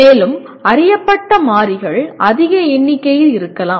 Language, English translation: Tamil, And there may be large number of known variables